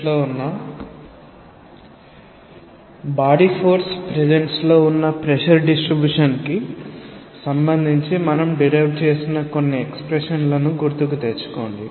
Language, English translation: Telugu, Now, recall that we derived certain expressions with regard to distribution of pressure in presence of body force